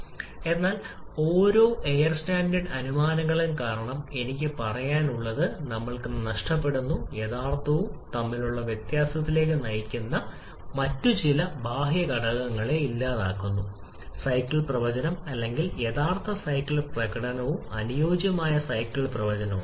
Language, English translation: Malayalam, So, because of each of the air standard assumptions we are losing something I should say we are eliminating some other external factors which lead to the deviation between the actual cycle prediction or actual cycle performance and ideal cycle prediction